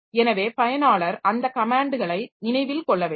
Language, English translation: Tamil, So, user has to remember all those comments